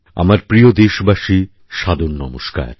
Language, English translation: Bengali, My dear countrymen, Saadar Namaskar